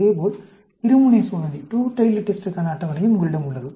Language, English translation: Tamil, Similarly, you also have a table for the two tailed test